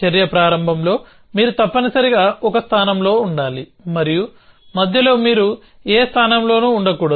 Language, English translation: Telugu, At the beginning of the action you must be at place a and in between you must be at neither place